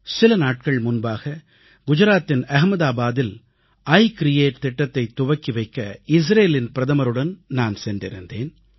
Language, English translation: Tamil, A few days ago, I got an opportunity to accompany the Prime Minister of Israel to Ahmedabad, Gujarat for the inauguration of 'I create'